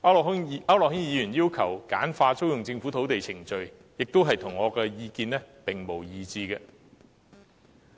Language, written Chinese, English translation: Cantonese, 區諾軒議員要求簡化租用政府土地的程序，亦與我的意見一致。, Mr AU Nok - hins request for streamlining the procedure for renting Government lands is also in line with my view